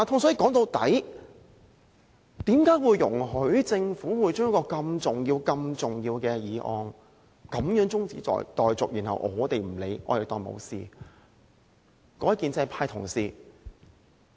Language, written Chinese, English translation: Cantonese, 說到底，我們怎能容許政府將一項如此重要的法案中止待續，怎能不加理會，當作沒有事情發生？, At the end of the day how can we let the Government adjourn the proceedings relating to such an important bill? . How can we turn a blind eye as if nothing happened?